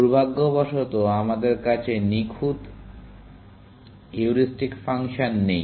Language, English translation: Bengali, Unfortunately, we do not have perfect heuristic functions